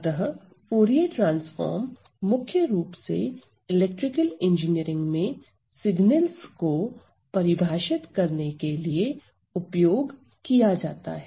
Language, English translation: Hindi, So, Fourier transforms are mostly in electrical engineering, Fourier transform are mostly used in the definition of signals